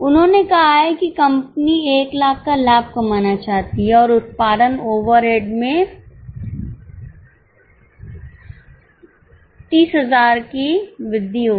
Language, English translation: Hindi, They have given that company wants to earn a profit of 1 lakh and there will be an increase in production overheads by 3 lakhs